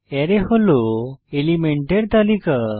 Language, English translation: Bengali, Array: It is a list of elements